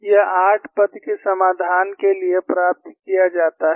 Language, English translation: Hindi, This is obtained for a eight term solution